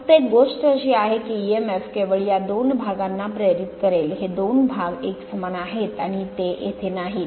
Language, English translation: Marathi, Only thing is that emf will induced only these two parts these two are coincides and not under the back coil not here